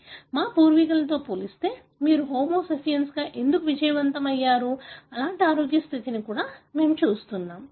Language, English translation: Telugu, We also look at the wellness like why you are so successful as Homo sapiens as compared to our predecessors, right